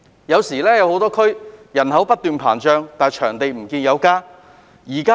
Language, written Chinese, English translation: Cantonese, 很多地區的人口不斷膨脹，場地供應卻沒有增加。, Despite a growing population in many districts the supply of sports venues and facilities has not been increased accordingly